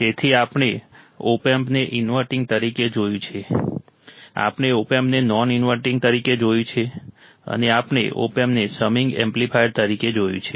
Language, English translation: Gujarati, So, we have seen the opamp as an inverting, we have seen opamp as a non inverting, and we have seen opamp as a summing amplifier